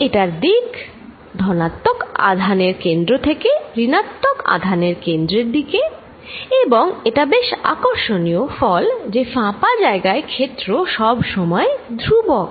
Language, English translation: Bengali, And it is direction is from the centre of the positive charge towards the centre of the negative, this is very interesting result no matter what you do field inside is constant in this hollow region